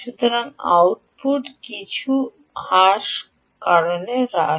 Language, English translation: Bengali, so the output drops, ah, for some reason